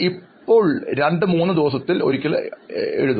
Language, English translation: Malayalam, Okay, once every two to three days